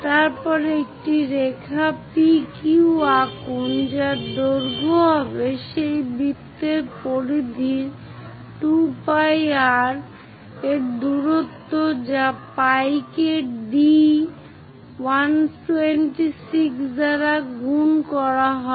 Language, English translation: Bengali, Then draw a line PQ which will have a length equal to the periphery of that circle 2 pi r supposed to be the distance which is pi multiplied by d 126 mm